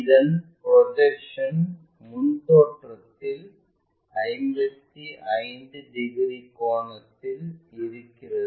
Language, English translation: Tamil, It is projection on the front view makes 55 degrees